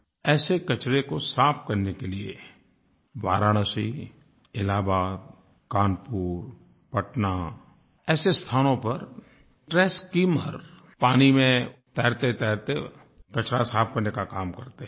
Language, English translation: Hindi, At Varanasi, Allahabad, Kanpur, Patna trash skimmers have been deployed which clean the river while floating on it